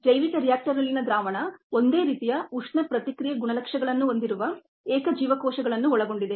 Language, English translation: Kannada, the solution in the bioreactor consists of single cells with similar thermal response characteristics